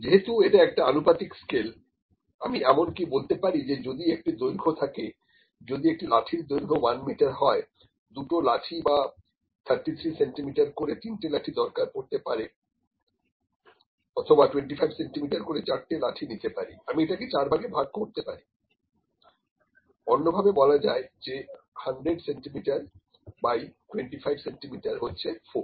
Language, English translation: Bengali, Because it is a ratio scale I can even say if there is a length, if there is a there is a stick of 1 metre, I need two sticks or three sticks of 33 centimetres or maybe let me say and it is four sticks of 25 centimetres, I can cut this into four parts